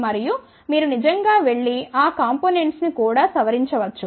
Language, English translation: Telugu, And, then you can actually go and added those components also